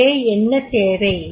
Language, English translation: Tamil, ) So what is required